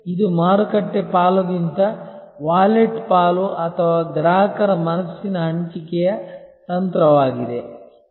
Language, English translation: Kannada, This is the strategy of wallet share or customer mind share rather than market share